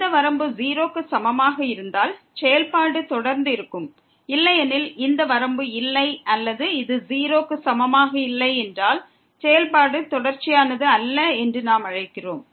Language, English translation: Tamil, If this limit is equal to 0, then the function will be continuous; otherwise, in case this limit does not exists or this is not equal to 0 then we call the function is not continuous